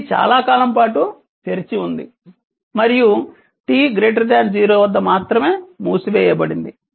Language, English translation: Telugu, It has open for a long time and only at t greater than 0 it was closed